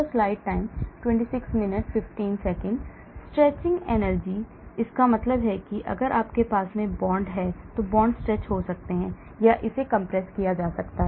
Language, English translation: Hindi, Stretching energy, that means, if you have the bond, bond can get stretched or it can be compressed